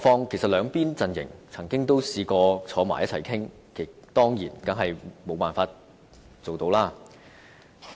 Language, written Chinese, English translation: Cantonese, 其實，兩邊陣營也曾嘗試一起討論，但是無法成事。, Actually the two camps once attempted to negotiate for a solution but the effort was in vain